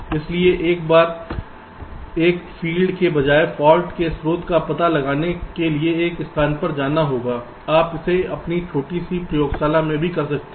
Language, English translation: Hindi, so instead of every time there is a field will have to go to one place to find out the source of the fault, you can do it in your own small lab also